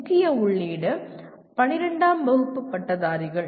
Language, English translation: Tamil, And the main input is graduates of 12th standard